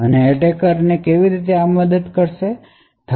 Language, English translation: Gujarati, So how does this help the attacker